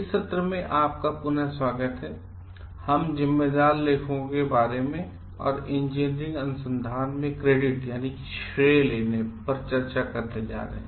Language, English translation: Hindi, Welcome back in this session we are going to discuss about responsible authorship and credit in engineering research